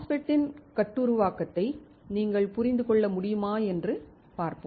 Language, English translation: Tamil, Let us see whether you guys can understand the fabrication of the MOSFET